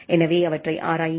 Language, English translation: Tamil, So, explore them